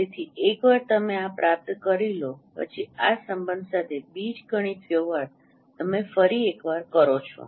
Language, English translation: Gujarati, So once you obtain this then you perform once again the algebraic manipulations with this relation